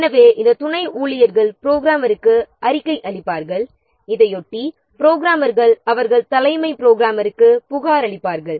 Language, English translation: Tamil, So, these subordinate staffs will report to the programmer and in turn the programmers they will report to the chief programmer